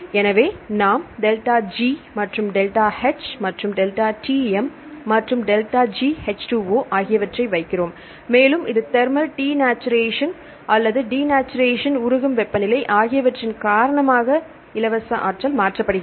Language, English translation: Tamil, So, we put the ΔG, and the change ΔH and ΔTm and the ΔGH2O and so on this is the free energy change due to the thermal denatuaration or the denaturant denatuaration, melting temperature and so on fine